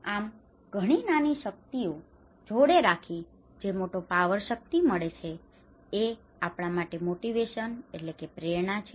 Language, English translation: Gujarati, So, putting a lot of small power together adds that the big power that is our motivation